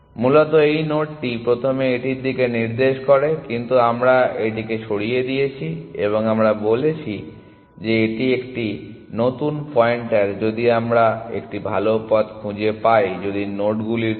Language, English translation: Bengali, Originally this node first pointing to this, but now we have removed this and we have said this is a new pointer if we have found a better path likewise for close nodes essentially